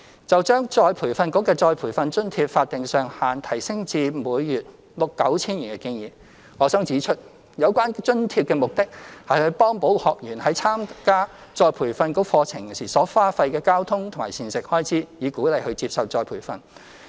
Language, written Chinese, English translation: Cantonese, 就將再培訓局的再培訓津貼法定上限提升至每月 9,000 元的建議，我想指出有關津貼的目的是幫補學員為參加再培訓局課程時所花費的交通及膳食開支，以鼓勵他們接受再培訓。, On the suggestion of increasing ERBs statutory cap of retraining allowance to 9,000 per month I wish to point out that the original intention of this allowance is to help trainees meet the travelling and meal expenses arising from attending ERBs retraining courses in order to encourage them to take up retraining